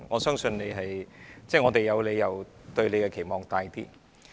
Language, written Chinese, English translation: Cantonese, 因此，我們有理由對局長抱有較大期望。, Therefore we have all the more reason to cherish greater expectations of the Secretary